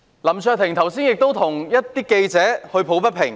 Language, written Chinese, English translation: Cantonese, 林卓廷議員剛才亦替記者抱不平。, Just now Mr LAM Cheuk - ting also spoke against the injustice suffered by journalists